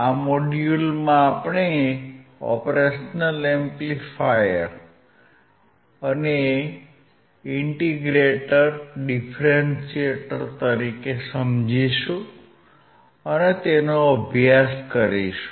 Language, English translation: Gujarati, This module is on understanding the operational amplifier as an integrator and as a differentiator